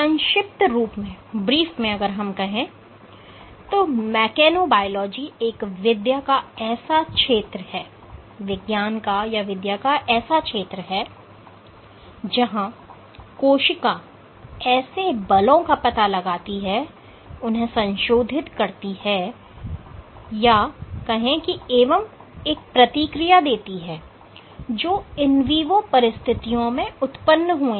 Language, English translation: Hindi, So, to summarize mechanobiology is a field of study that looks how cells detect, modify, and respond to forces that arise under in vivo circumstances